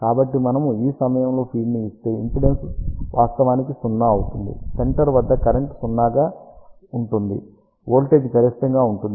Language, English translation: Telugu, So, if we feed at this point impedance will be actually 0; at the center current will be 0, voltage will be maximum